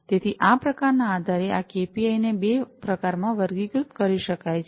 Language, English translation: Gujarati, So, these KPIs based on their types can be categorized into two types